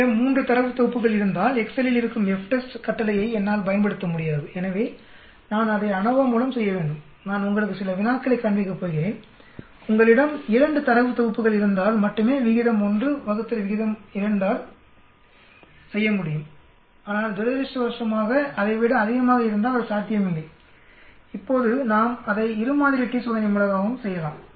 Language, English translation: Tamil, If I have 3 data sets I cannot use the FTEST command that is available in Excel,so I have to do it through ANOVA I am going to show you some problems there only if, if you have 2 data sets we can do ratio 1 divided by the ratio of 2 but unfortunately if there are more than that then it is not possible, now we can also do it by two sample t test